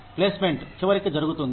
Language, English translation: Telugu, Placement will happen, eventually